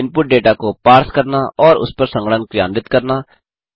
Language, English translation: Hindi, Parse input data and perform computations on it